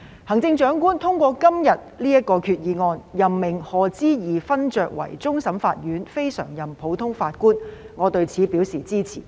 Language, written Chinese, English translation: Cantonese, 行政長官通過今天的決議案，任命賀知義勳爵為終審法院非常任普通法法官，我對此表示支持。, I support the appointment of the Right Honourable Lord Patrick HODGE as a non - permanent judge of the Hong Kong Court of Final Appeal from another common law jurisdiction by the Chief Executive through this Resolution today